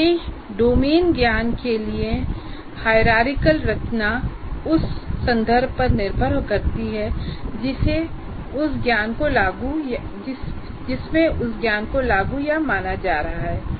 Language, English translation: Hindi, And also the hierarchical structure for a particular domain knowledge also depends on the context in which that knowledge is being applied or considered